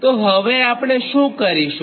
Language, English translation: Gujarati, right now, what, what will do